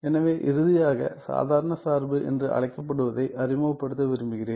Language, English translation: Tamil, So, then finally, I want to introduce the so, called ordinary function